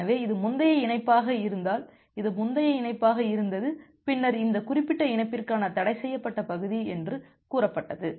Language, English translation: Tamil, So, this was the earlier connection if this was the earlier connection then this was say the forbidden region for this particular connection